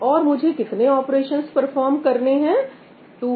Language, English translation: Hindi, And what is the number of operations I have performed 2n cube